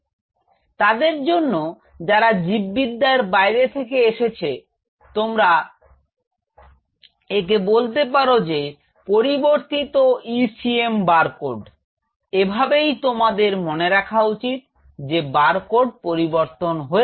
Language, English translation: Bengali, So, for those who are from outside biology you can call it as the compromised ECM barcode this is how you should remember it the barcode has been compromised